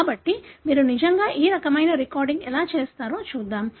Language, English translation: Telugu, So, let us see how you really do this kind of recording